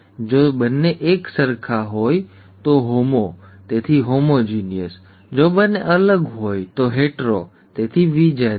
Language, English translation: Gujarati, If both are the same, homo, so homozygous, if both are different, hetero, so heterozygous